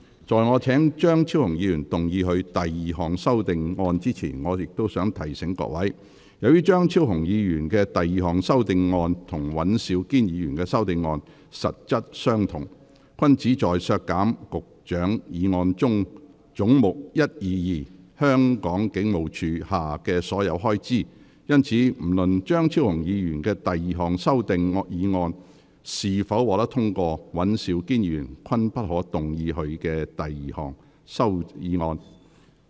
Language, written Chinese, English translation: Cantonese, 在我請張超雄議員動議他的第二項修訂議案前，我想提醒各位，由於張超雄議員的第二項修訂議案與尹兆堅議員的修訂議案實質相同，均旨在削減局長議案中總目122下的所有開支，因此不論張超雄議員的第二項修訂議案是否獲得通過，尹兆堅議員均不可動議他的修訂議案。, Since the question was not agreed by a majority of each of the two groups of Members present he therefore declared that the amending motion was negatived . Before I call upon Dr Fernando CHEUNG to move his second amending motion I wish to remind Members that as Dr Fernando CHEUNGs second amending motion and Mr Andrew WANs amending motion are substantially the same in that both seek to cut all of the expenditure of Head 122 under the Secretarys resolution Mr Andrew WAN may not move his amending motion irrespective of whether Dr Fernando CHEUNGs second amending motion is passed or not